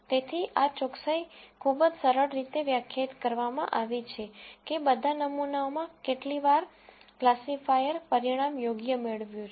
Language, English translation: Gujarati, So, this accuracy is very simply defined by, in all the samples how many times did the classifier get the result right